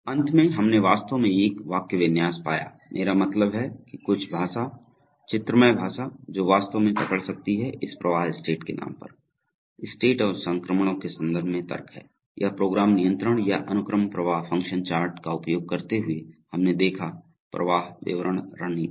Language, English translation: Hindi, And finally we actually found a syntax, I mean some language, graphical language which can actually capture this flow of logic in terms of states, states and transitions, so this program control or the program flow description strategy using sequential function charts we have seen, so now before ending I think it is nice to look at some problems, so for your examples, you can try